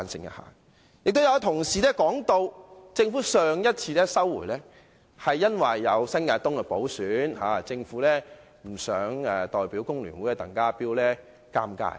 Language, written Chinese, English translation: Cantonese, 有同事提到，政府上次撤回《條例草案》，是因為有新界東的補選，政府不想令代表工聯會的鄧家彪尷尬。, Some Members indicated that the Government withdrew the Bill last time because it did not want to embarrass TANG Ka - piu who represented FTU to run in the Legislative Council by - election New Territories East constituency